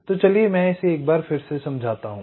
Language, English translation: Hindi, so let me just explain it once more